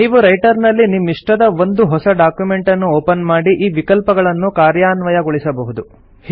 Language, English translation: Kannada, You can open a new document of your choice in Writer and implement these features